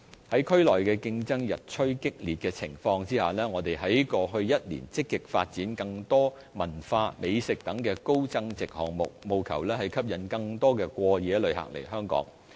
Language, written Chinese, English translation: Cantonese, 在區內競爭日趨激烈的情況下，我們在過去一年積極發展更多文化、美食等高增值項目，務求吸引更多過夜旅客來香港。, Given competition in the region is getting intense we kicked started last year more high value - added activities such as cultural and gourmet events in a bid to attract more overnight visitors to Hong Kong